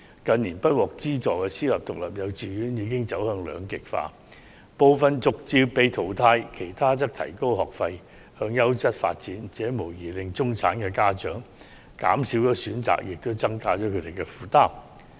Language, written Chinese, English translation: Cantonese, 近年不獲資助的私立獨立幼稚園已走向兩極化，部分逐漸被淘汰，其他則提高學費，向優質教育的方向發展，這無疑令中產家長的選擇減少，亦增加了他們的負擔。, Private independent kindergartens not funded by the Government have moved in two opposing directions in recent years with some of them being eliminated gradually while others raising their tuition fees and moving towards the direction of quality education . This will undoubtedly reduce the choices for middle - class parents and impose a heavier burden on them